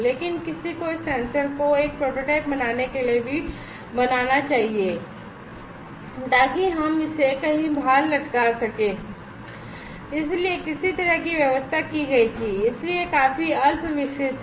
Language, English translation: Hindi, But somebody should make this sensor also to make a prototype, so that we can take it outside hang it somewhere so some kind of arrangement was made, so that is quite rudimentary